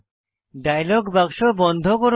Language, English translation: Bengali, Close this dialog box